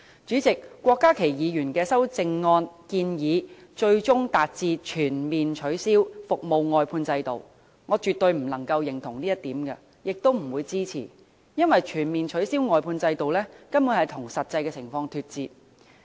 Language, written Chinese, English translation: Cantonese, 主席，郭家麒議員的修正案建議最終達致全面取消服務外判制度，這一點我絕對不能認同，亦不會予以支持，因為全面取消外判制度根本與實際情況脫節。, President Dr KWOK Ka - kis amendment proposes to eventually achieve the complete abolition of the service outsourcing system . On this point I absolutely cannot agree with him . I will not support it because the complete abolition of the service outsourcing system is actually detached from the actual situation